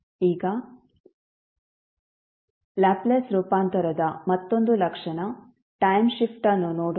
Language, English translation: Kannada, Now, let us see another property of the Laplace transform that is time shift